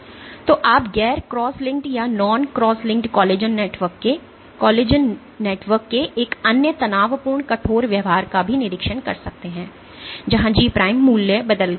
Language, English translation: Hindi, So, you can you observe also observed a strain stiffening behaviour of collagen networks of non cross linked or a non cross linked collagen networks, where G prime value G prime values changed